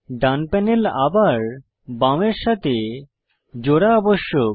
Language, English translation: Bengali, The right panel needs to be merged back into the left one